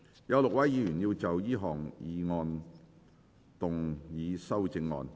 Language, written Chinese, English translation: Cantonese, 有6位議員要就這項議案動議修正案。, Six Members will move amendments to this motion